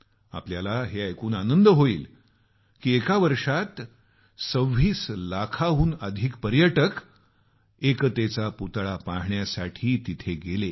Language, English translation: Marathi, You will be happy to note that in a year, more than 26 lakh tourists visited the 'Statue of Unity'